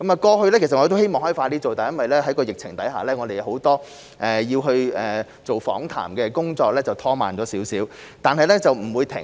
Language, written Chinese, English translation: Cantonese, 過去，我們希望能夠盡快進行研究，但因為疫情，訪談工作略為拖慢，但不會停止。, We previously hoped to conduct our study as soon as possible but because of the pandemic the interviews were slightly delayed . However we will not cease our efforts